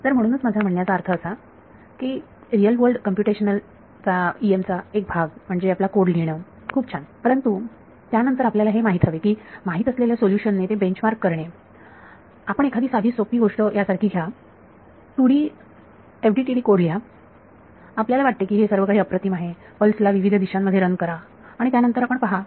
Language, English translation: Marathi, So, that is why I mean one part of real world computational EM is writing your code very good, but after that you have to you know bench mark it with known solutions you take the simple thing like this you write a 2D FDTD code you think everything is great then you run a pulse in different direction then you see oh its behaving so differently